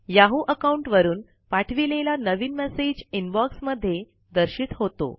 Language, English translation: Marathi, The new message sent from the yahoo account is displayed in the Inbox